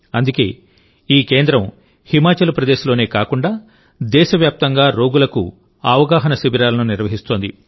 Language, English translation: Telugu, That's why, this centre organizes awareness camps for patients not only in Himachal Pradesh but across the country